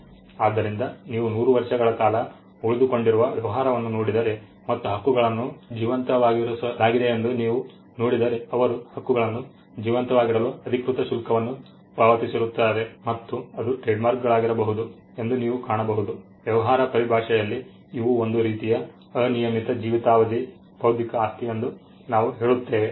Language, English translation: Kannada, So, but if you look at a business that is survived for 100 years and you would actually see that the marks are being kept alive, they paid the charges official fees for keeping the marks alive and you will find that it can be the trademarks in business parlance we say these are kind of unlimited life intellectual property